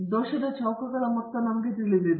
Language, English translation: Kannada, We have the sum of squares of the error